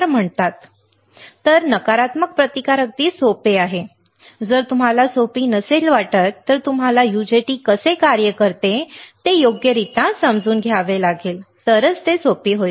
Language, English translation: Marathi, So, why it is called negative resistance easy right, if your answer is it is not easy, then you have to understand correctly how UJT works, then it will become easy